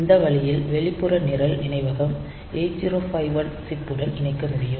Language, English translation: Tamil, So, in this way we can connect external program memory to the 8051 chip